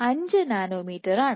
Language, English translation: Malayalam, 05 nanometer per millisecond